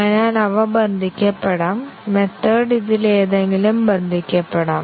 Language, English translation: Malayalam, So, they can be bound, the method can be bound to any of these